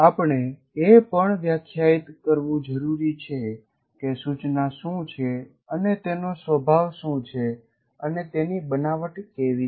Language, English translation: Gujarati, So we also once again need to define what instruction is and what is its nature and what are its constructs